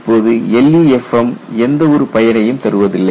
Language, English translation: Tamil, LEFM will not do